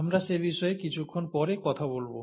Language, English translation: Bengali, We’ll talk about that a little later from now